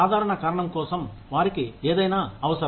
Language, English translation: Telugu, For the simple reason that, they need something to do